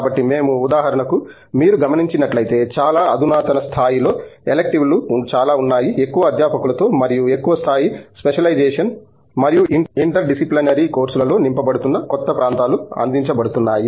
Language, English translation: Telugu, So we are, for example, if you see that, there are lots of advance level electives that have being offered with more faculties coming in and with greater levels of specializations and new areas that are being filled in interdisciplinary courses and so on